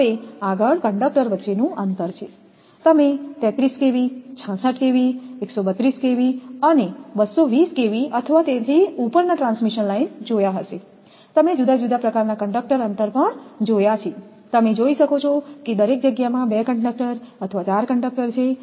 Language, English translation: Gujarati, Next one, is that spacing of conductors; you have seen for transmission line 33 kV, 66 kV, 132 kV or 220 kV or above you have seen different type of conductor spacing are there, also in each space you can see 2 conductors or 4 conductors are there in each space